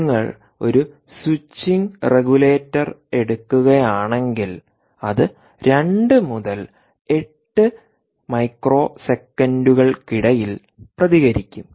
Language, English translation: Malayalam, if you take a switching regulator, it responds anywhere between two and eight microseconds